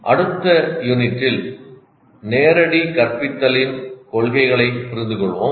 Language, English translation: Tamil, And in the next unit we will understand the principles of direct instruction